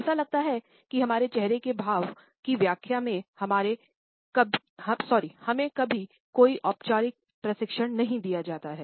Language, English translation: Hindi, It seems that we are never given any formal training in our interpretation of facial expressions